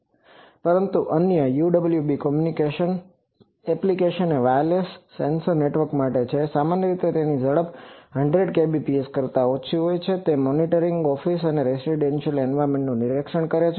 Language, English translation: Gujarati, But, other UWB communication applications are for wireless sensor networks typically 100 kbps less than that speed, so monitoring office and residential environment